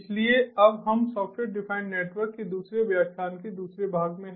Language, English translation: Hindi, so we are now in the second lecture, second part of software defined networks